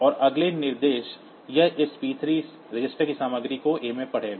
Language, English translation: Hindi, And the next instruction it will read the content of this p 3 registered into a